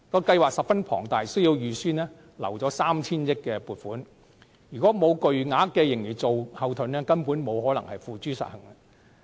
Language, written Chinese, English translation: Cantonese, 計劃十分龐大，需要預留 3,000 億元撥款，如果沒有巨額盈餘作後盾，根本不能付諸實行。, The implementation of such a massive plan involving a funding of 300 billion will not be possible without the backing of a huge surplus